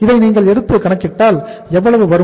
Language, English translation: Tamil, So if you work it out this works out how much